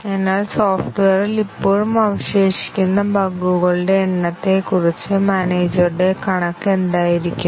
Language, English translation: Malayalam, So, what would be the manager’s estimate of the number of bugs that are still remaining in the software